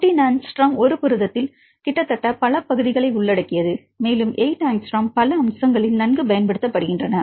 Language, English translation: Tamil, 14 angstrom covers almost several regions in a protein and 8 angstroms well used in several aspects